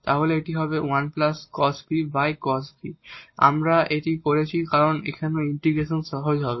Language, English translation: Bengali, We have done this because now the integration will be easier